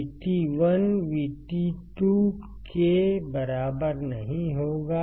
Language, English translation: Hindi, So, VGS 3 equals to VGS1